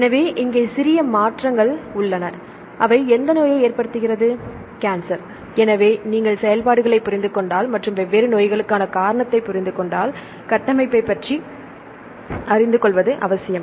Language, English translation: Tamil, So, if you understand the functions and if you understand the cause of the different diseases it is important to know about the structure